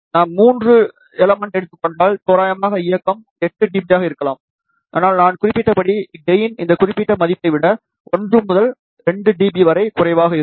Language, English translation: Tamil, If we take three elements, approximate directivity can be 8 dB, but as I mentioned gain is 1 to 2 dB less than this particular value